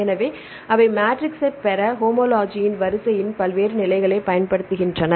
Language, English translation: Tamil, So, they use various levels of a sequence of homology to derive the matrix